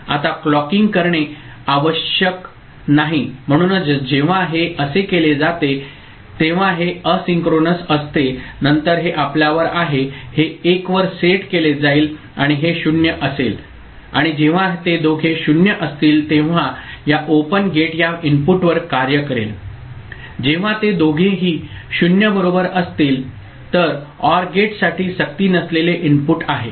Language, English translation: Marathi, Now clocking is not required that is why it is asynchronous whenever it is made like this then this is your, this will be set to 1 and this will be 0 and only when both of them are 0 this OR gate will be acting on this input when both of them are 0 right this is a non forcing input for the OR gate